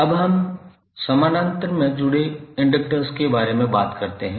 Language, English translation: Hindi, Now, let us talk about the inductors connected in parallel